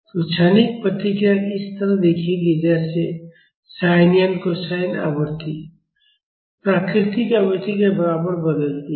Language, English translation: Hindi, So, the transient response will look like this vary as sines or cosines with the frequency equal to natural frequency